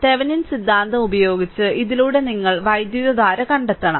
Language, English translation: Malayalam, Using Thevenin theorem, you have to find out the current through this